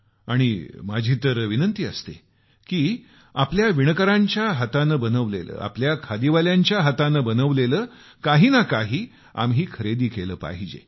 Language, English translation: Marathi, And I keep insisting that we must buy some handloom products made by our weavers, our khadi artisans